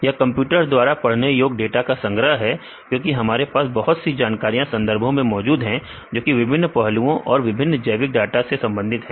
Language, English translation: Hindi, It is a collection of data in the computer readable form because we have several information available in the literature and various aspects, various biological data